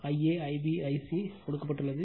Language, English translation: Tamil, And I a, I b, I c are given